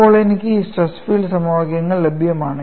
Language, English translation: Malayalam, Now, I have this stress field equation available